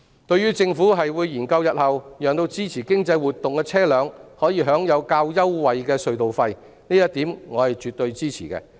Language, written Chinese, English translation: Cantonese, 對於政府表示會研究日後讓支持經濟活動的車輛可享有較優惠的隧道費，我是絕對支持的。, I will absolutely support the Governments proposal to study the possibility for vehicles supporting economic activities to enjoy concessionary tunnel tolls